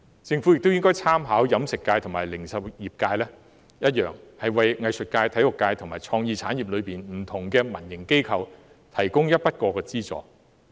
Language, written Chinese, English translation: Cantonese, 政府亦應參考飲食界及零售業界的做法，為藝術界、體育界及創意產業的民營機構提供一筆過資助。, The Government should also draw reference from the catering and retail sectors and provide one - off subsidies for private organizations in the arts sector sports sector and creative industry